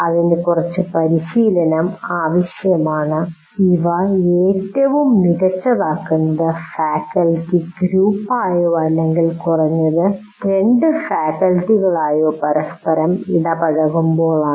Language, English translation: Malayalam, You have to trial and error and these are best done as a group of faculty or at least two faculty interacting with each other